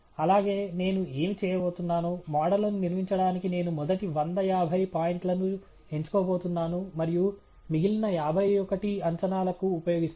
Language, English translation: Telugu, And also, what I am going to do, is I am going to pick the first hundred and fifty points for building the models and use the remaining fifty one for prediction